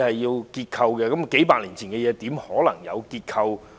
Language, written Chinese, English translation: Cantonese, 試問數百年前的屋舍，又怎能證明其結構安全呢？, How can we prove that the houses built a few centuries ago are structurally safe may I ask?